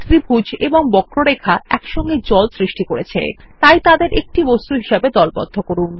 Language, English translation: Bengali, The triangle and the curve together create water, lets group them as a single object